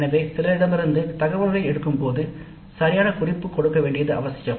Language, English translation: Tamil, So when we pick up the information from some source, it is necessary to give proper reference